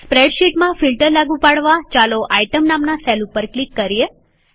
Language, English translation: Gujarati, In order to apply a filter in the spreadsheet, lets click on the cell named Item